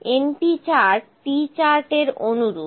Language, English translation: Bengali, np chart is similar to the P charts